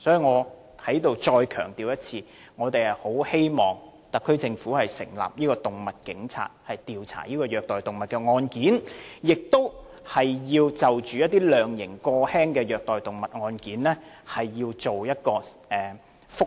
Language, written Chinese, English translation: Cantonese, 我再次強調，我們很希望特區政府能夠成立"動物警察"，加強調查虐待動物案件，而當局亦應就判刑過輕的虐待動物案件提出覆核。, I must stress again that it is our earnest hope for the SAR Government to set up animal police teams to strengthen investigation on animal cruelty cases and the authorities must also apply for a review if a lenient sentence has been passed on convicted animal cruelty cases